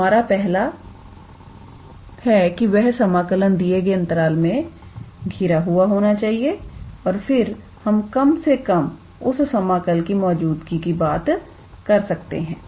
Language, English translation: Hindi, So, the first criteria is it has to be bounded on that interval and then we can at least talk about that the double integral exists